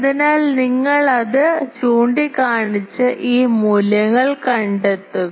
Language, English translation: Malayalam, So, you point it and then find out these values